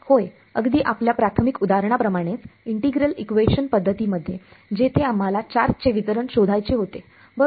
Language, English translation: Marathi, Yes, like our very initial example in the integral equation methods where we wanted to find out the charge distribution right